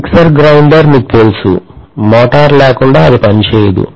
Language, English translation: Telugu, If you look at, you know mixer grinder, without motor, it will not work